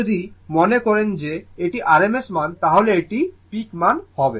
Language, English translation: Bengali, Now this one if you think that your rms value this is the peak value